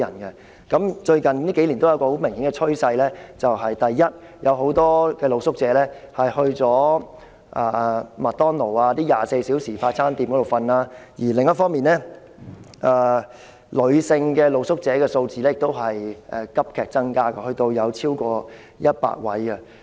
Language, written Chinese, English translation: Cantonese, 而最近數年有一個很明顯的趨勢：第一，有很多露宿者走到一些24小時營業的快餐店那裏睡覺；第二，女性露宿者的數字亦急增至逾100名。, Also in recent year there emerged a clear trend that firstly many street sleepers will go to some fast food restaurants which operate 24 hours a day to sleep there; and secondly the number of female street sleepers has drastically increased to over 100